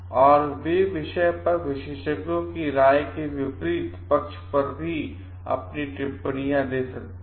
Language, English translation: Hindi, And they can also comment on the opposite side of the experts opinions on the topic